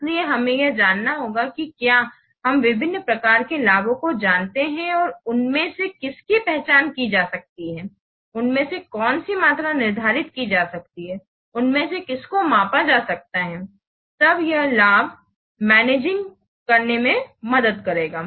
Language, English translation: Hindi, So we have to, if you know the different types of benefits and which of them can be identified, which of them can be quantified, which of them can be measured, then that will help in managing the benefits